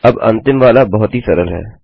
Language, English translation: Hindi, Now, the last one is extremely simple